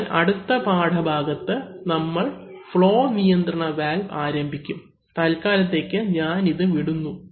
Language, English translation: Malayalam, So, in the next lesson, we will actually begin with the flow control valve, so I will skip this for the time being